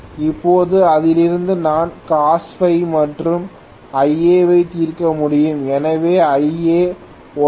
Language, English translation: Tamil, Now from this I should be able to solve for Cos phi as well as Ia, so Ia happens to be 109